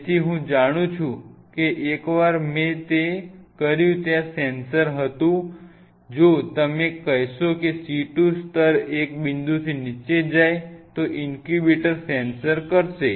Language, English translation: Gujarati, So, some people I know once I did it there was sensor you will say if the C2 level goes down below a point of course, the incubator has sensor